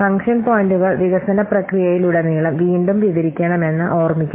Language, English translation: Malayalam, The function points, please remember that they should be recounted throughout the development process